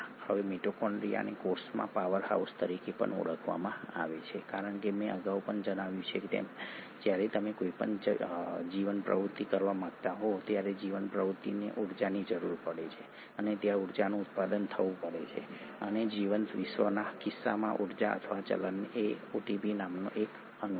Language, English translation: Gujarati, Now mitochondria is also called as the powerhouse of the cell because as I mentioned earlier also that when you want to do any life activity, the life activity requires energy and there has to be production of energy and that energy or the currency in case of a living world is this molecule called ATP